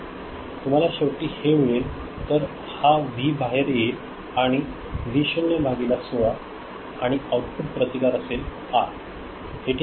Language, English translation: Marathi, So, the V over here that is available to the outside world is V naught by 16 and the output resistance is R, is it ok